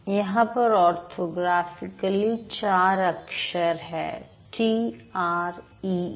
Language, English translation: Hindi, Orthographically, this is T R E E